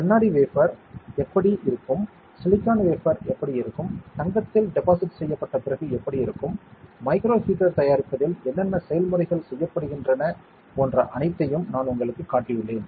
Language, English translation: Tamil, And I have shown you like how a glass wafer will be, how a silicon wafer will be, how it will look like after it is deposited with gold and what are the processes that is involved in making micro heaters, I have shown you all those things